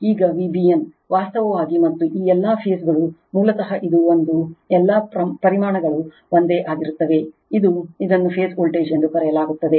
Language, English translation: Kannada, Now, V b n actually and all these phase basically this one is equal to V p all magnitudes are same, this is V p this is called phase voltage right